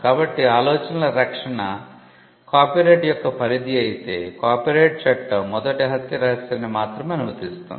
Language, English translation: Telugu, So, if protection of ideas was the scope of copyright then copyright law would only be allowing the first murder mystery